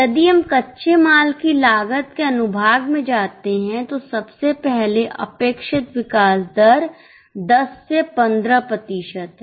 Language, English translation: Hindi, Now it is very clearly given if we go to the section of the cost of raw material, first of all the expected growth rate is 10 to 15%